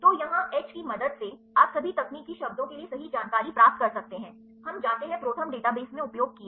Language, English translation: Hindi, So, here the help H, you can get the information for all the technical terms right, we are used in the ProTherm database